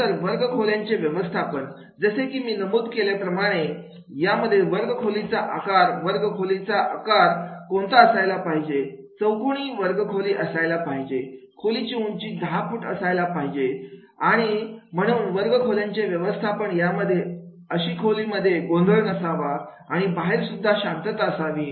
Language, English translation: Marathi, Then the classroom management is already I have mentioned that is what should be the classroom size, what should be the shape of the classroom, the square classroom is there, 10 foot height of the ceiling is to be there and therefore the physical classroom management, the classroom should not have the access to noise and the step corridors and disturbances